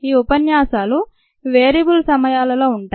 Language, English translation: Telugu, these lectures would be of variable times